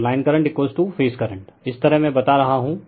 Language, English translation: Hindi, So, line current is equal to phase current, this way I am telling you